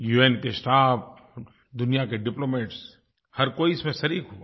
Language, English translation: Hindi, The staff of the UN and diplomats from across the world participated